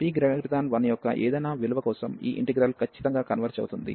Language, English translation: Telugu, For any value of p greater than 1, this integral converges absolutely